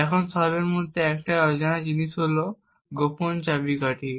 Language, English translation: Bengali, The only thing that is unknown in all of this is the secret key